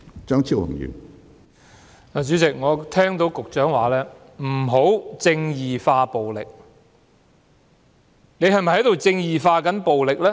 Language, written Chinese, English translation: Cantonese, 主席，我聽到局長說"不要'正義化'暴力"，他是否正在"正義化"暴力呢？, President I heard the Secretary say that violence should not be justified . But is he himself justifying violence?